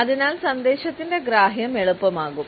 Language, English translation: Malayalam, And therefore, the comprehension of the message becomes easier